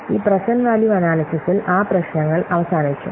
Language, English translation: Malayalam, So, this present value analysis, it controls the above problems